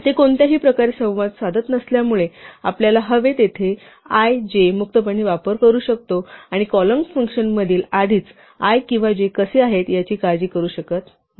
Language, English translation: Marathi, Since they do not interact anyway we can freely use i j wherever we want and not worry about the fact that we are already how i or j outside in the calling function